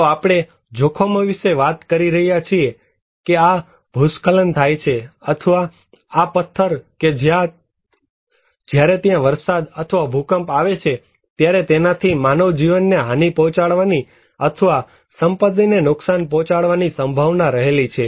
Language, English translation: Gujarati, So, we are talking about hazards that this landslide or this stone when it is exposed to heavy rainfall or earthquake, it can have some potentiality to cause human injury or loss or property damage